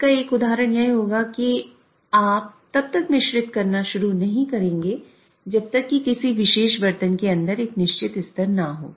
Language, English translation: Hindi, An example of that would be you would not start mixing unless there is certain level inside a particular vessel